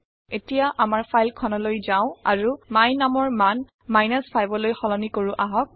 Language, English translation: Assamese, Lets go back to our file and change the value of my num to 5